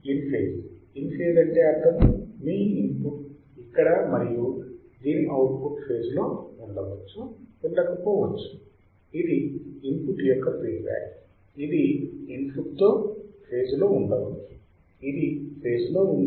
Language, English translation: Telugu, In phase, in phase means your input is this right their output can be in phase or out output can be out of phase, and this part is feedback to the input that should be in phase with the input, it should be in phase